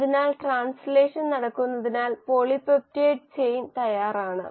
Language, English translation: Malayalam, So once the translation has happened, polypeptide chain is ready